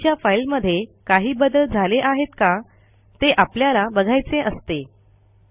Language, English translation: Marathi, Also we may want to see whether a file has changed since the last version